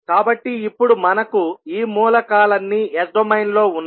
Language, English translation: Telugu, So, how we can transform the three elements into the s domain